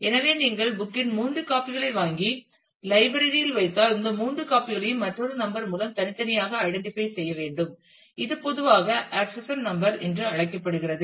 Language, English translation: Tamil, So, if you buy three copies of the book and put it in the library, then these three copies need to be identify separately by another number which is typically called the accession number